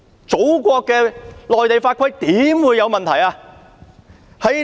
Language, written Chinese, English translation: Cantonese, 祖國內地的法規豈會有問題呢？, How can laws and regulations of our Motherland have problems?